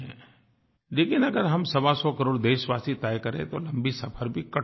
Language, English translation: Hindi, If we, 125 crore Indians, resolve, we can cover that distance